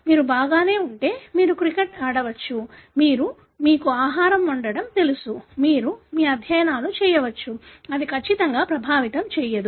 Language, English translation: Telugu, If you are alright you can play cricket, you can, you know cook food, you can do your studies, absolutely it doesn’t affect